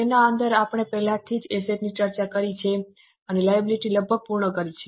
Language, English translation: Gujarati, Within that we have already discussed asset and almost completed the liability